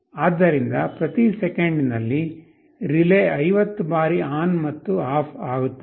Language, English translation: Kannada, So, in every second the relay will be switching ON and OFF 50 times